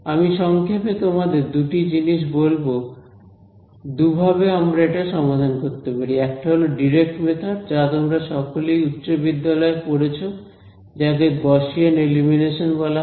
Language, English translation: Bengali, I will just roughly tell you two things there are two ways of solving ax is equal to b; one is what is called direct method which you all have studied in high school it is called Gaussian elimination